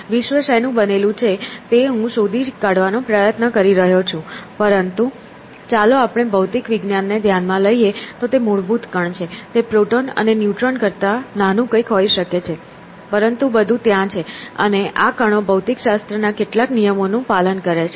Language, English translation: Gujarati, So, physics is, of course, I have been struggling to figure out what the world is made up of but let us take it for granted at it is some fundamental particle; it could be something smaller that proton and neutron, but everything is there, and these particles they obey some laws of physics